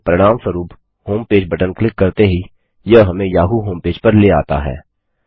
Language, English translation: Hindi, As a result, clicking on the homepage button brings us to the yahoo homepage